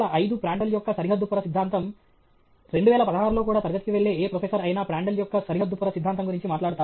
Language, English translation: Telugu, 1905 Prandtl’s Boundary Layer Theory; 2016 also any professor going to the class Prandtl’s Boundary Layer Theory